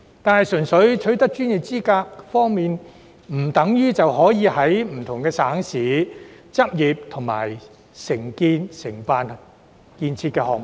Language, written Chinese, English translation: Cantonese, 但是，純粹取得內地相關專業資格，不等於可在不同省市執業和承辦建設項目。, Nevertheless acquiring the professional qualifications on the Mainland alone does not mean that one can practise and undertake projects in different municipalities and provinces